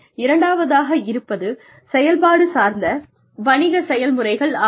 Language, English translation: Tamil, The second is business processes, which are operational